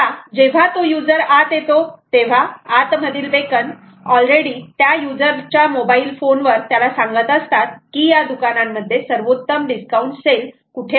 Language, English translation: Marathi, now, as he enters, beacons inside are already telling the user on the phone about where the best discount sale is available inside the shop